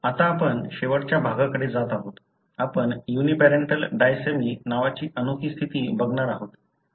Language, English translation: Marathi, Now, we are going to the last section; we are going to look into unique condition called Uniparental disomy